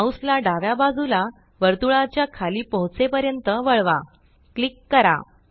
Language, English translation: Marathi, Now turn the mouse to the left, until at the bottom of the circle